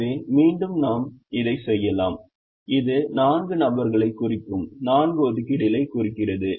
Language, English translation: Tamil, so again we can say that this represents the four jobs, this represents the four people